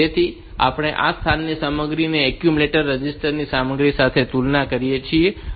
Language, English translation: Gujarati, So, we compare the content of this location with the content of the accumulator register